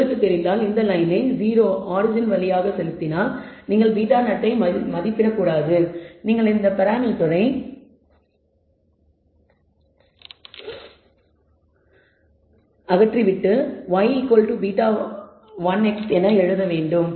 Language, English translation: Tamil, If you know it and you want you want to force this line to pass through 0 0, the origin, then you should not estimate beta 0 you should simply remove this parameter and simply write y is equal to beta 1 x